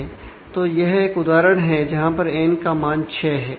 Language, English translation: Hindi, So, this is an example of a simple case which is n where n is equal to 6